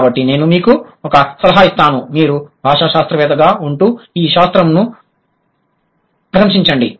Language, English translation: Telugu, So my suggestion for you would be be a linguist and appreciate this discipline